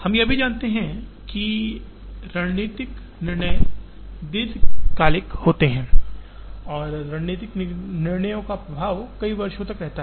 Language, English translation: Hindi, We also know that, the strategic decisions are long term decisions, whose effect of strategic decisions are there for several years